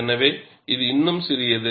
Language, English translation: Tamil, So, it is still small